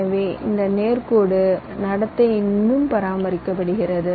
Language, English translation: Tamil, so, as you can see, this straight line behavior is still being maintained, right